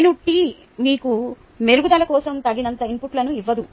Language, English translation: Telugu, it doesnt give you sufficient inputs for improvement